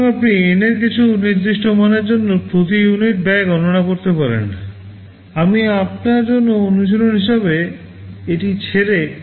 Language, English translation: Bengali, So, you can calculate the per unit cost for some particular value of N; well I leave it as an exercise for you